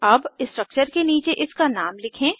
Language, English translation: Hindi, Lets write its name below the structure